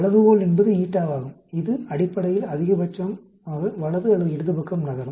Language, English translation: Tamil, The scale is the eta it basically moves the maximum to the right or to the left